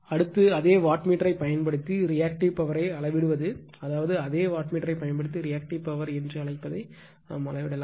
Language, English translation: Tamil, Next is the Measurement of Reactive Power using the same wattmeter , right, I mean , using the your same wattmeter you measure the your what you call the , your Reactive Power